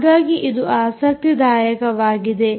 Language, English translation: Kannada, so thats interesting already